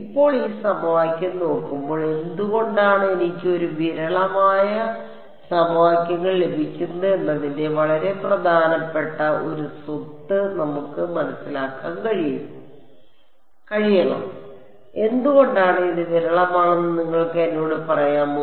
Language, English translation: Malayalam, Now, looking at this equation, we should be able to understand one very very key property of f e m why do I get a sparse system of equations, can you can you tell me why is it sparse